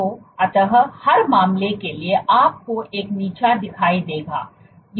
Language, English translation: Hindi, So, eventually for every case you will see a drop